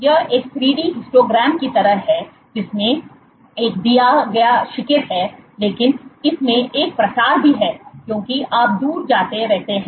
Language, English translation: Hindi, It is like a 3 d histogram which has a given peak, but it also has a spread as you go far out